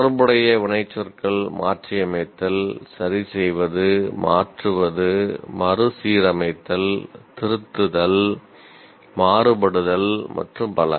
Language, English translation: Tamil, The action words related are adapt, alter, change, rearrange, reorganize, revise, vary and so on